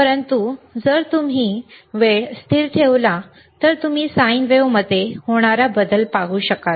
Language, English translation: Marathi, But if you keep that time constant, then you will be able to see the change in the sine wave